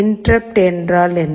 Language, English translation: Tamil, What is an interrupt